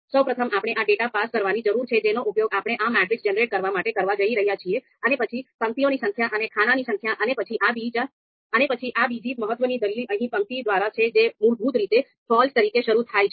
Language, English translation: Gujarati, So first we need to pass on this you know data that we are going to use to create this generate this matrix, then number of rows and number of columns, and then this another important argument here is by row that is you know initializes as a false that is default value